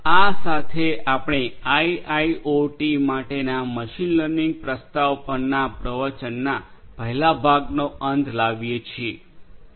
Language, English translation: Gujarati, With this we come to an end of the first part of lecture on machine learning introduction for IIoT